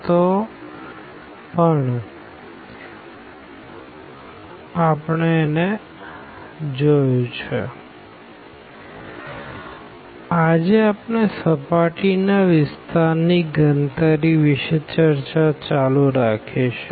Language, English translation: Gujarati, And today we will continue our discussion for computation of surface area